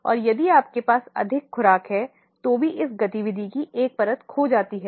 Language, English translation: Hindi, And if you have more doses, even one layer of this activity is lost